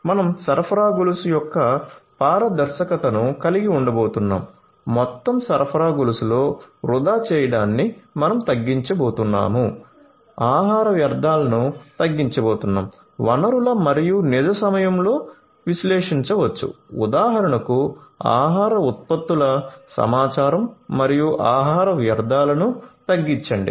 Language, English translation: Telugu, We are going to have transparency of the supply chain, we are going to minimize the wastage in the entire supply chain, we are going to have minimized wastage of food resources, we can analyze in real time foe example the information of food products and reduce the food wastage